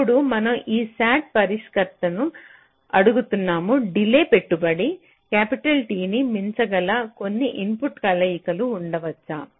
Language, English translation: Telugu, now we are asking this sat solver: can there be some input combinations for which the delay can exceed capitality